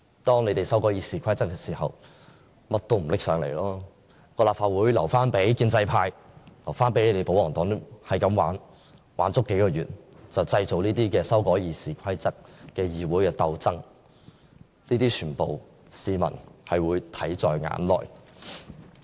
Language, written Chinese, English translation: Cantonese, 當他們修改《議事規則》時，政府便甚麼也不提交上來，把立法會留給建制派和保皇黨玩，玩足數個月，製造這些修改《議事規則》的議會鬥爭，這些市民會全部看在眼內。, On the other hand the Government cooperated with its close allies and partners by not submitting anything to the Legislative Council during the RoP amendments leaving room for the pro - establishment and pro - Government Members to manipulate the Council . Over the past few months they have caused a stir in the Council over the RoP amendments . What they have done are under the very eyes of the public